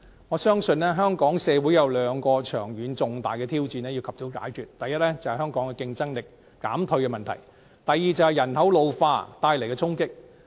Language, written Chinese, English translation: Cantonese, 我相信，香港社會有兩個長遠重大的挑戰要及早解決：第一是香港競爭力減退的問題；第二是人口老化帶來的衝擊。, I believe there are two major long - term challenges that Hong Kong must solve as soon as possible first Hong Kongs dwindling competitiveness; and second the impact of the ageing population